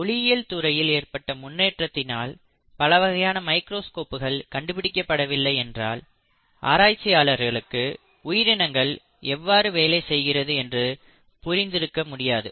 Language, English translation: Tamil, Had it not been for the optics and development of different kinds of microscopes, it would not have been possible for researchers to understand how life really works and how the cells really work